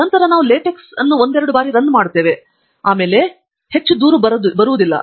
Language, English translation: Kannada, Then we will run LaTeX couple of times, and then, you can now see that there is no more complaint